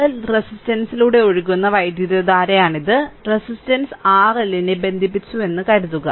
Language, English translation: Malayalam, This is the current that is flowing through the resistance R L, suppose we have connected the resistance R L